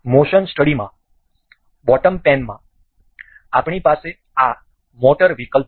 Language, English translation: Gujarati, The in motion study, in the you know bottom pane, we have this motor option